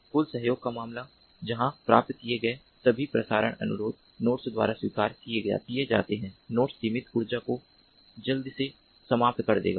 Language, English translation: Hindi, case of total cooperation, where all the relay requests that are received are accepted by the nodes and the nodes will quickly exhaust the limited energy